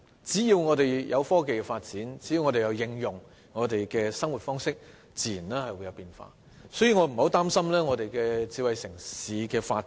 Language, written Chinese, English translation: Cantonese, 只要我們把科技應用於生活，自然會出現變化，所以我並不擔心香港的智慧城市發展。, So long as we apply technology to our daily life changes will naturally occur so I am not worried about smart city development in Hong Kong